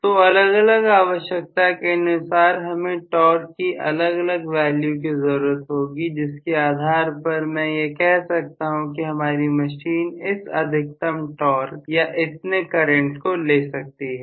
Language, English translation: Hindi, So I am going to have the requirement of different values of torque for different situations according to which I will say my machine can carry a maximum of so much of torque or so much of current and so on right